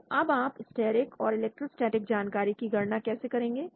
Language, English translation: Hindi, So how you will calculate the steric and electrostatic information